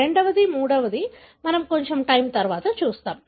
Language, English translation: Telugu, The second one, the third one we will see little later